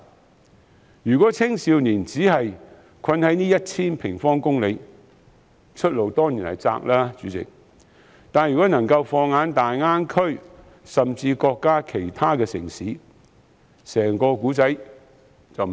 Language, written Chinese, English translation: Cantonese, 代理主席，如青少年只困守在這 1,000 平方公里之內，出路當然狹窄，但如能放眼大灣區甚至內地其他城市，整個故事便完全不同。, Deputy President the prospects for young people will surely be limited if they are stuck in this territory of 1 000 sq km but the whole story will be totally different if they can set eyes on the Greater Bay Area or even other cities in the Mainland